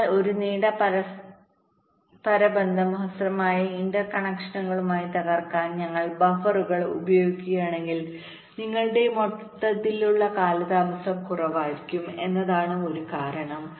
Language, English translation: Malayalam, so the idea is that if we use buffers to break a long interconnection into shorter interconnections, your overall delay will be less